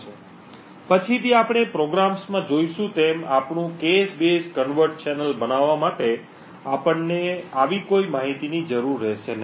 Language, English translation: Gujarati, So, later on as we would see in the programs we would require to no such information in order to build our cache base covert channel